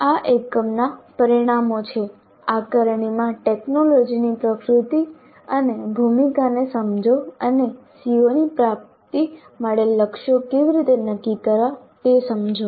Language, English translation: Gujarati, The outcomes for this unit are understand the nature and role of technology in assessment and understand how to set targets for attainment of COs